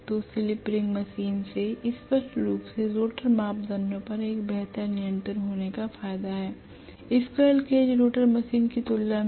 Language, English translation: Hindi, So slip ring machine clearly has the advantage of having a better control over the rotor parameters as compared to the squirrel cage rotor machine